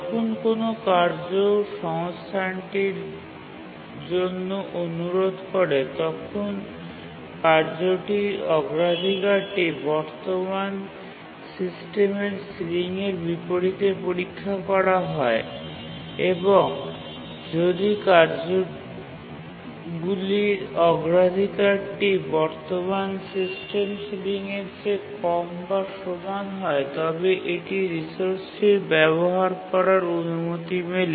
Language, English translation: Bengali, Here when a task requests a resource, its priority is compared to the current system ceiling and only if its priority is more than the current system ceiling or it is the task that has set the current system ceiling it is granted a resource